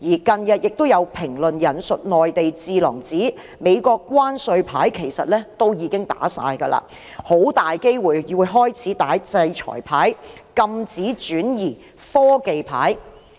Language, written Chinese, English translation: Cantonese, 近日亦有評論引述內地智囊指美國的關稅牌其實已打盡，很大機會開始打制裁牌和禁止轉移科技牌。, Recently there are comments citing the remarks made by the Mainland think tanks saying that the tariff card has been played to the fullest by the United States and it would most probably play the sanction card and technology transfer embargo card